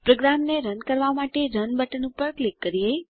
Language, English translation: Gujarati, Let us click on Run button to run the program